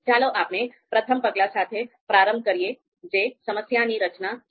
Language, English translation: Gujarati, So let’s start with the first one that is problem structuring